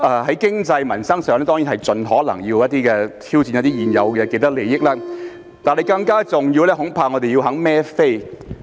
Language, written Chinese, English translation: Cantonese, 在經濟和民生上，當然盡可能要挑戰一些現有的既得利益，但更重要的是，恐怕我們要願意"孭飛"。, As regards the economy and peoples livelihood we certainly must do our best to challenge some existing vested interests but more importantly we must be willing to take full accountability